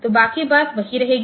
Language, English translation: Hindi, So, rest of the thing will remain same